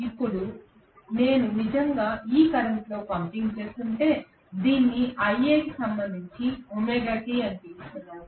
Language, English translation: Telugu, Now, if I am actually pumping in this current so let me call this as Ia with respect to omega t right